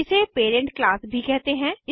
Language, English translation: Hindi, It is also called as parent class